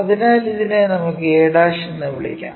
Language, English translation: Malayalam, So, this will be our a point